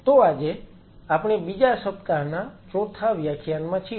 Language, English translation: Gujarati, So, today we are into the 4 th lecture of the second